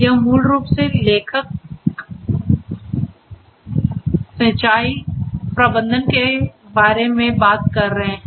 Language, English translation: Hindi, Here basically they are talking about the authors they are talking about the irrigation management